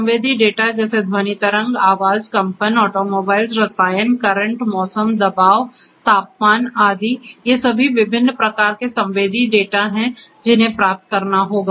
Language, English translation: Hindi, Sensory data such as sound wave, voice, vibration, automobile, chemical, current, weather, pressure, temperature, etcetera, etcetera, etcetera these are all these different types of sensory data which will have to be acquired